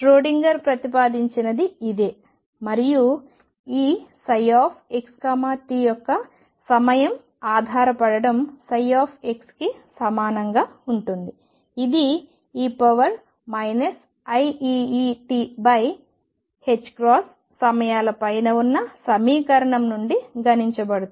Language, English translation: Telugu, This is what Schrödinger proposed and the time dependence of this psi x t would be equal to psi x that will be calculated from the equation above times e raised to minus I e t over h cross